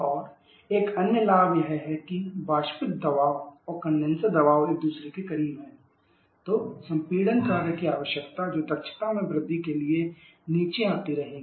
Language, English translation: Hindi, And another advantages that if the evaporate pressure and condenser pressure is close to each other then the compression what requirement that also keep on coming down leading to an increase in the efficiency